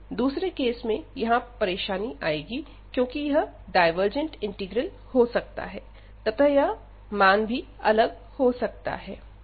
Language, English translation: Hindi, So, but in other cases we have the problem here, because this might be a divergent integral and this might be the divergent integral and in that case the value will differ